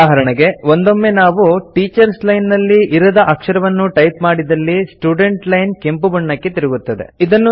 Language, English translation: Kannada, For example, when you type a character that is not displayed in the Teachers Line, the Student line turns red